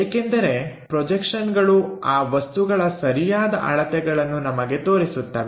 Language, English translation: Kannada, Because projections are the ones which gives us true dimensions of that object